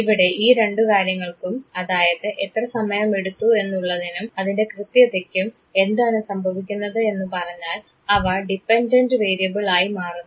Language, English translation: Malayalam, Now what will happen these two things the time taken and the accuracy they become the dependent variable and my intelligence is the independent variable